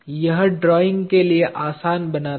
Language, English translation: Hindi, It makes it simple for drawing